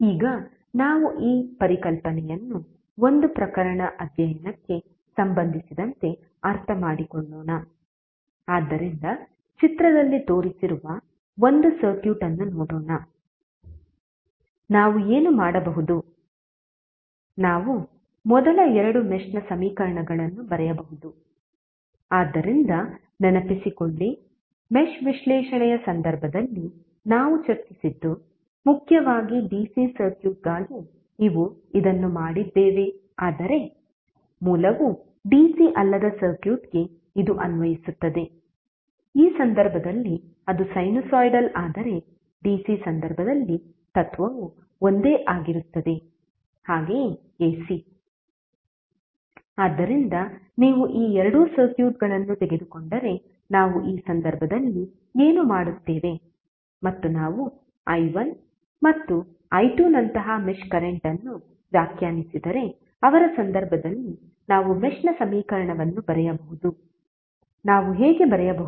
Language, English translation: Kannada, Now let us understand this concept with respect to one case study, so let us see one circuit which is shown in the figure, what we can do we can write first two mesh equations, so recollect of what we discussed in case of mesh analysis although we did it for mainly the DC circuit but same is applicable for the circuit where the source is not DC, in this case it is sinusoidal but the principle will follow the same in case of DC as well as AC, so what we will do in this case if you take two circuits and we define mesh current like i1 and i2 in his case we can write the mesh equation, how we can write